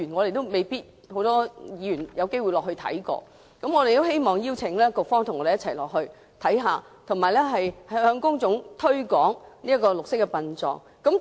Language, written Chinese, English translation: Cantonese, 目前未必很多議員有機會參觀，我們希望邀請局方與我們一同前往參觀，以及向公眾推廣綠色殯葬。, Not many Members have a chance to learn about green burial . We hope to invite the Bureau to join the visit with us and promote green burial to the public